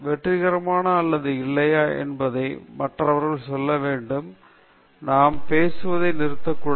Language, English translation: Tamil, Other people should tell whether your successful or not; we should not keep on talking